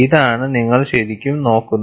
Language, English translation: Malayalam, This is what you are really looking at